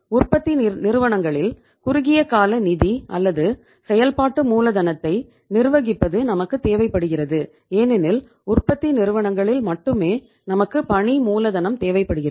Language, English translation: Tamil, We require the short term finance or management of working capital in the manufacturing firms because in the manufacturing firms only we require the working capital